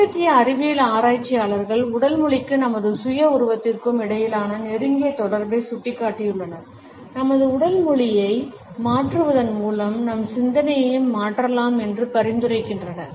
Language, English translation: Tamil, Latest scientific researchers have pointed out a close connection between the body language and our self image, suggesting that by changing our body language we can also change our thinking